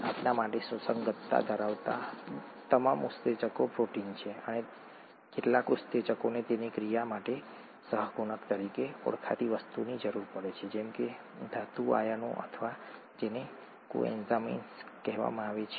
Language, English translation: Gujarati, All enzymes of relevance to us are proteins and some enzymes require something called a cofactor, such as metal ions or what are called coenzymes for their action, okay